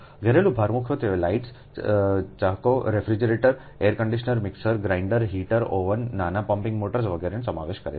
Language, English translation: Gujarati, domestic load mainly consists of lights, fans, refrigerators, air conditioners, mixer grinders, heaters, ovens, small pumping motors, etc